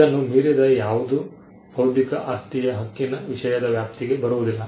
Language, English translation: Kannada, Anything beyond this is not the subject purview of an intellectual property right